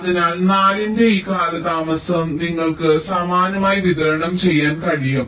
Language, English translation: Malayalam, four and four, so this delay of four you can distribute